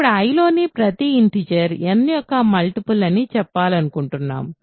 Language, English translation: Telugu, Now, we want to say that every integer in I is a multiple of n